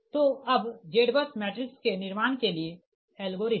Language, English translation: Hindi, so now algorithm for building z bus matrix